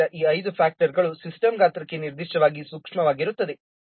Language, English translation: Kannada, So these five factors appear to be particularly sensitive to system size